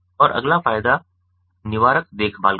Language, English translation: Hindi, and the next advantage is of preventive care, ah, ah